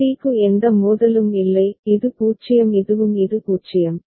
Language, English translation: Tamil, For c there is no conflict, this is 0 this is also 0